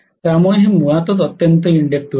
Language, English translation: Marathi, So this is highly inductive in nature